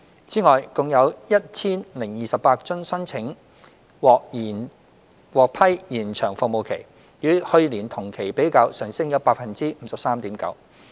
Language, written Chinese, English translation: Cantonese, 此外，共有 1,028 宗申請獲批延長服務期，與去年同期比較，上升 53.9%。, There were 1 028 approved applications for extended service representing an increase of 53.9 % compared with the same period last year